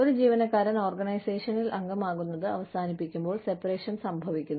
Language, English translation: Malayalam, Separation occurs, when an employee ceases to be, a member of the organization